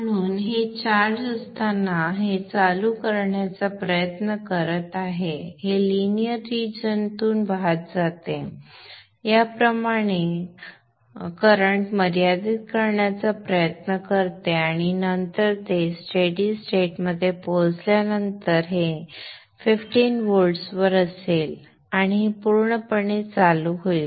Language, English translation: Marathi, So as this is getting charged up this is trying to turn this on this goes through the linear region tries to limit the current through this and then after after it reaches stable state this would be at 15 volts and this would be fully on